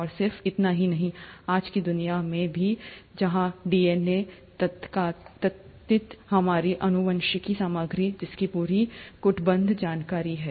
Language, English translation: Hindi, And not just that, even in today’s world, where DNA, the so called our genetic material which has the entire coded information